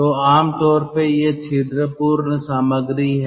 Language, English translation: Hindi, so generally these are porous material